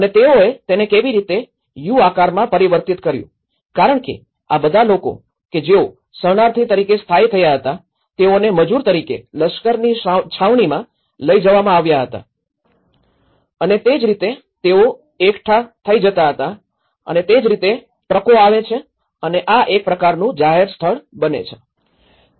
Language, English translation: Gujarati, And how they programmed it in a U shape was because all these people who were settled as refugees they were taken as labourers to the army camps and that is how they used to gather in place and then that is how the trucks come and this becomes a kind of public place as well